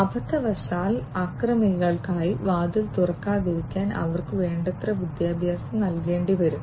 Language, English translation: Malayalam, So, they will have to be educated enough so that unintentionally they do not open the doors for the attackers